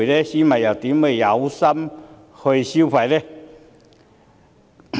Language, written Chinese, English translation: Cantonese, 市民又怎會有心情消費呢？, And how can people feel like spending then?